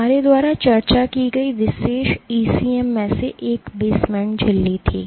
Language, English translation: Hindi, One of the particular ECMs that we discussed was the basement membrane right